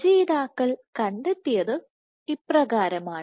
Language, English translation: Malayalam, So, what the authors found is as follows